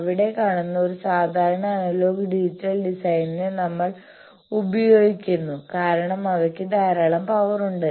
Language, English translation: Malayalam, We call a typical analogue digital design that we see there because they have plenty of power